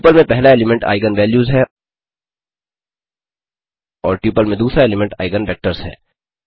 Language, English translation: Hindi, The first element in the tuple are the eigen values and the second element in the tuple are the eigen vectors